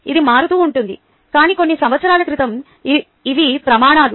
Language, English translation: Telugu, ok, this keeps changing, but a few years ago these were the criteria